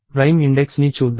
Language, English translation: Telugu, Let us watch prime index